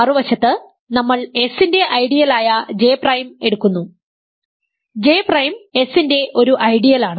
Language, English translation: Malayalam, On other hand we take an ideal J prime of S; J prime is an ideal of S and you simply take phi inverse of J prime ok